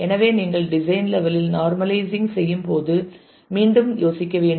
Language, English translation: Tamil, So, if you think back while you are normalizing at the design level